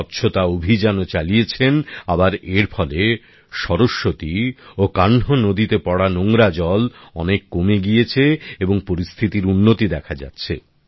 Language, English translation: Bengali, A Cleanliness campaign has also been started and due to this the polluted water draining in the Saraswati and Kanh rivers has also reduced considerably and an improvement is visible